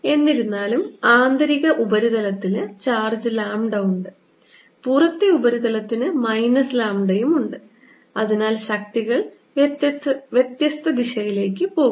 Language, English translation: Malayalam, however, the inner surface has charge plus lambda, the outer surface has charge minus lambda and therefore the forces are going to be in different directions